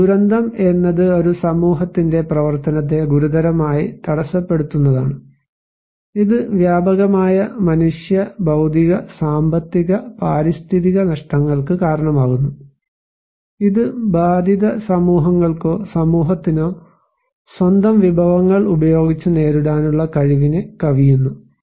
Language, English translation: Malayalam, So, a disaster is a serious disruption of the functioning of community or a society causing widespread human, material, economic, environmental losses which exceed the ability of the affected communities or society to cope using its own resources